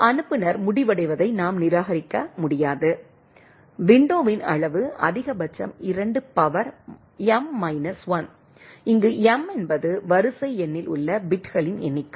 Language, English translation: Tamil, We cannot discards those that the sender ends, size of the window is at most 2 the power of m minus 1, where m is the number of bits in the sequence number right